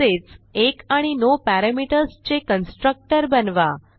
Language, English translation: Marathi, Also create a constructor with 1 and no parameters